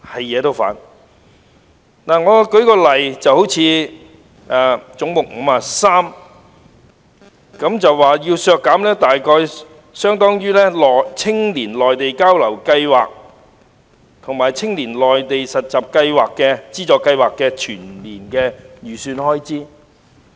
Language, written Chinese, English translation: Cantonese, 以總目53為例，議員提出削減相當於青年內地交流資助計劃及青年內地實習資助計劃的全年預算開支。, Take head 53 as an example . A Member has proposed deducting an amount equivalent to the annual estimated expenditure on the Funding Scheme for Youth Exchange in the Mainland and the Funding Scheme for Youth Internship in the Mainland